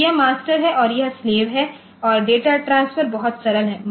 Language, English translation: Hindi, So, this is the master and this is the slave and the data transfer is very simple